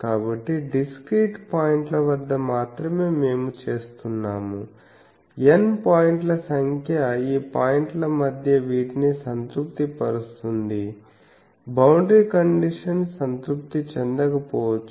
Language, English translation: Telugu, So, only at discrete points we are making that on n number of points will satisfy these between these points the boundary conditions may not be satisfied